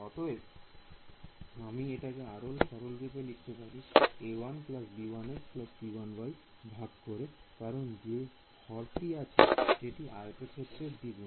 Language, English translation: Bengali, So, I can reduce boil this down to a 1 plus b 1 x plus c 1 y divided by, because the denominator is twice the area